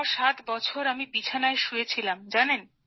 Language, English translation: Bengali, For 67 years I've been on the cot